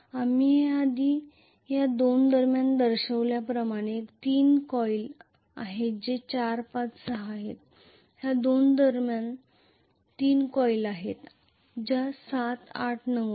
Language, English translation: Marathi, As we showed it earlier between these 2 there are 3 coil which are 4, 5, 6 between these two there are 3 coils which are 7, 8, 9